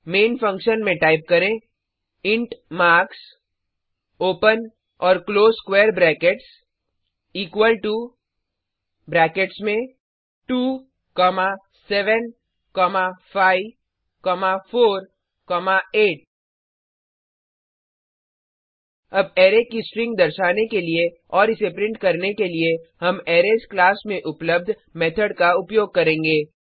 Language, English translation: Hindi, Inside the main function,type int marks open and close square brackets equal to within brackets 2, 7, 5, 4, 8 Now we shall use a method available in the Arrays class to get a string representation of the array and print it